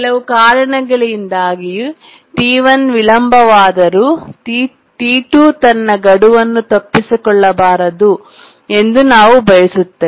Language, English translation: Kannada, So, we want that even if T1 gets delayed due to some reason, T2 should not miss its deadline